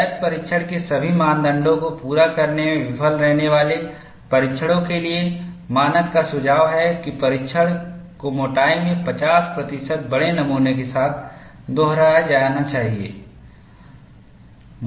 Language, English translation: Hindi, For tests that fail to meet all of the criteria for a valid test, the standard suggests that, the test be repeated with a specimen 50 percent larger in thickness